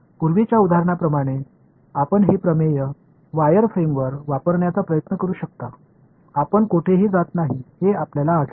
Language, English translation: Marathi, You can try using applying this theorem on a wire frame like the previous example, you will find that you do not go anywhere